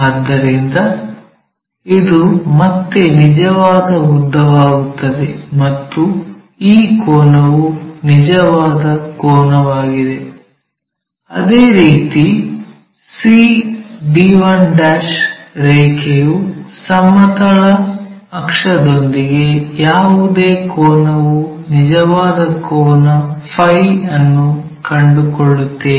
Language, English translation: Kannada, So, this again becomes true length and this angle is the true angle similarly the line c d 1' with horizontal axis whatever angle its making true angle phi we will find